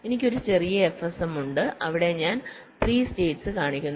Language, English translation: Malayalam, i have a small f s m where i am showing three states